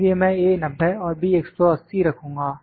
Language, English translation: Hindi, So, I will put A 90, A movement is 90 and B is 180